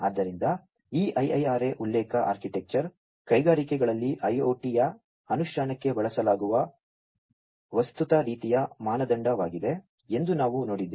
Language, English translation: Kannada, So, we have seen that this IIRA reference architecture is sort of like a de facto kind of standard being used for the implementation of IIoT in the industries